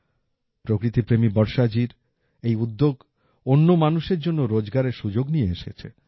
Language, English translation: Bengali, This initiative of Varshaji, who is very fond of nature, has also brought employment opportunities for other people